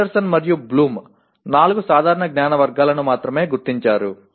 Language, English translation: Telugu, Anderson and Bloom will only identify four general categories of knowledge